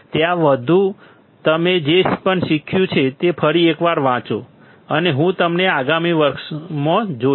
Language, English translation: Gujarati, Till then you just read once again, whatever I have taught and I will see you in the next class